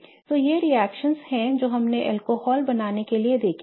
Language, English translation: Hindi, Anyway, so these are the reactions we have seen to make alcohols